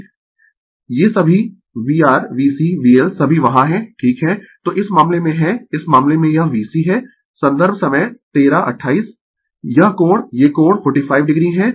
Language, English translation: Hindi, These all V R V C V L all are there right so in this case you are ah in this case this is V C is this angle these angle is 45 degree right